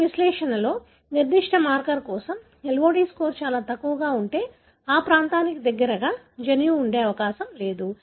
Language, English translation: Telugu, If the LOD score is very low for a particular marker in your analysis, then it is not likely that the gene is present close to that region